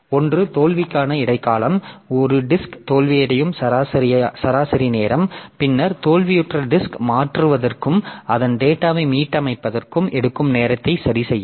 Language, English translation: Tamil, The average time it takes a disk to fail, then mean time to repair the time it takes to replace a failed disk and restore the data on it